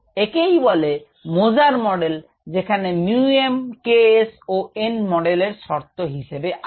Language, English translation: Bengali, this is called the moser model, where you have mu m, k s and n as the parameters of the model